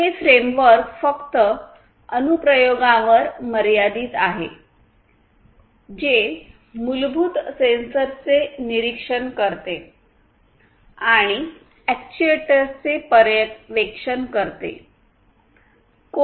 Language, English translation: Marathi, The framework is limited to applications which monitor basic sensors and supervise the actuators